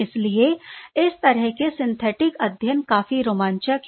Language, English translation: Hindi, Therefore, these sort of synthetic studies are quite exciting